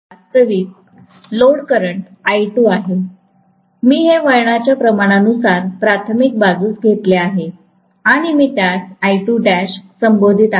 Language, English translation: Marathi, Actual load current flowing is I2, I have taken it with the help of turn’s ratio to the primary side and I am calling that as I2 dash